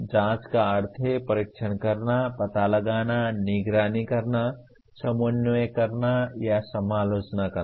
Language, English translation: Hindi, Checking means testing, detecting, monitoring, coordinating or critiquing